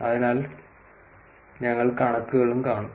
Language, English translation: Malayalam, And so we will see the figures also